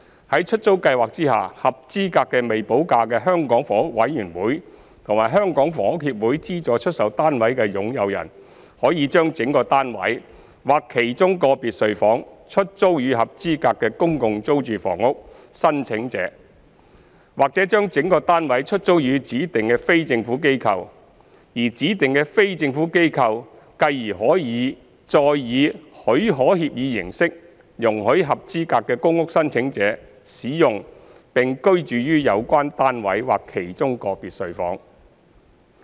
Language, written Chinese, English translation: Cantonese, 在出租計劃下，合資格的未補價的香港房屋委員會和香港房屋協會資助出售單位的擁有人，可將整個單位或其中個別睡房出租予合資格的公共租住房屋申請者，或將整個單位出租予指定的非政府機構，而指定的非政府機構繼而可再以許可協議形式，容許合資格的公屋申請者使用並居住於有關單位或其中個別睡房。, Under the Letting Scheme eligible SSF owners under the Hong Kong Housing Authority HA and HKHS with premium unpaid may lease their entire flats or individual bedrooms therein to eligible public rental housing PRH applicants or lease their entire flats to specified non - government organizations which in turn may permit eligible PRH applicants to use and occupy such flats or certain bedrooms therein by way of licence agreements